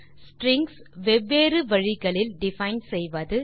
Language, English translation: Tamil, Define strings in different ways